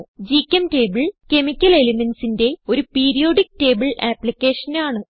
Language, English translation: Malayalam, GChemTable is a chemical elements Periodic table application